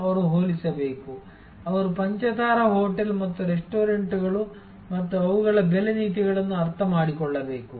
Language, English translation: Kannada, They have to compare, they have to understand the five star hotel and the restaurants and their pricing policies